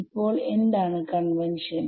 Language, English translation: Malayalam, Now what is the convention